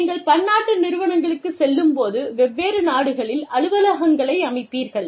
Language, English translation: Tamil, When you go multinational, you set up offices, in different countries